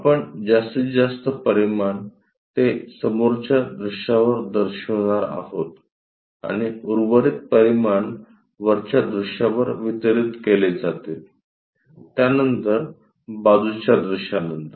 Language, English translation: Marathi, The maximum dimensions, we are supposed to show it on the front view and the remaining left over dimensions will be d1stributed on the top view, then after side view